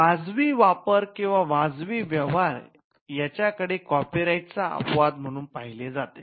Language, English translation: Marathi, So, fair use or fair dealing is something that is seen as an exception to the right of the copyright holder